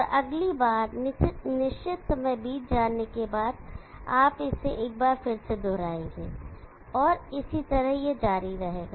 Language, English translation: Hindi, And next again after certain time has elapsed, you will repeat it once again and so on it keeps continuing